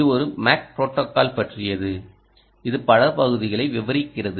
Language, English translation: Tamil, this is about a mac protocol which details several parts